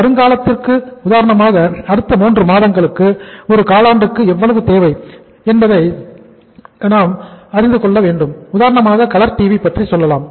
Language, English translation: Tamil, And in the time to come for example in the next 3 months, in 1 quarter how much is going to be the total demand for example we talk about the colour TVs